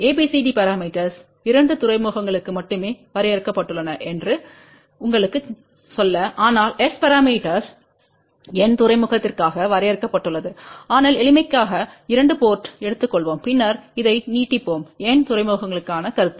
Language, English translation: Tamil, Just to tell you that ABCD parameters are defined only for 2 ports, but S parameters are defined for n port but for simplicity let us just take 2 port and then we will extend this concept to n ports